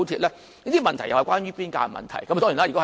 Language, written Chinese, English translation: Cantonese, 這些問題也是關於邊界的問題。, Of course these are issues concerning the boundary